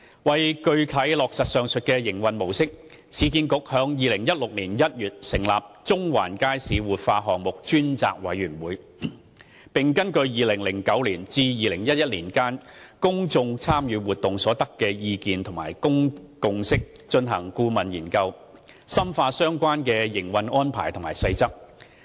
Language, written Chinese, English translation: Cantonese, 為具體落實上述營運模式，市建局於2016年1月成立中環街市活化項目專責委員會，並根據2009年至2011年間公眾參與活動所得的意見和共識進行顧問研究，深化相關的營運安排及細則。, To implement the above mentioned operation model URA set up an Ad Hoc Committee on the Central Market Revitalization Project in January 2016 and commenced a consultancy study based on the comments collected and consensus achieved in the public engagement exercise conducted between 2009 and 2011 to work out the details of the operation arrangements